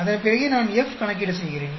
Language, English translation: Tamil, Then only I do F calculation